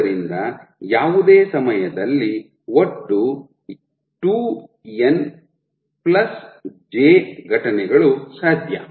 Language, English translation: Kannada, So, there are total of 2n+j events possible at any time step